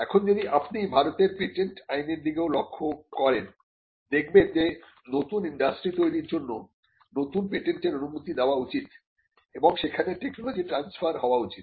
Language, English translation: Bengali, Now, if you look at the patents Act in India as well, you will find that creation of new industry patent should be granted for the creation of new industry, new industries and they should be transfer of technology